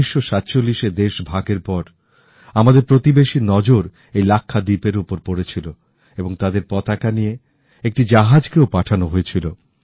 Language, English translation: Bengali, Soon after Partition in 1947, our neighbour had cast an eye on Lakshadweep; a ship bearing their flag was sent there